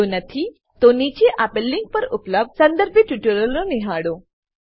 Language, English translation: Gujarati, If not, watch the relevant tutorials available at the following link